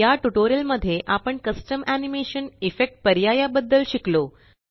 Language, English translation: Marathi, In this tutorial we learnt about Custom animation, Effect options Here is an assignment for you